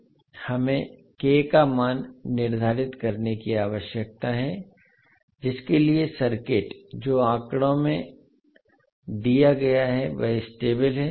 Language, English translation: Hindi, We need to determine the value of k for which the circuit which is given in figure is stable